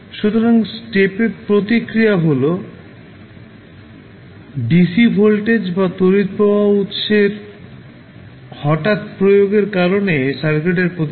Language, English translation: Bengali, So, step response is the response of the circuit due to sudden application of dc voltage or current source